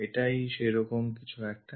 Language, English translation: Bengali, There is something like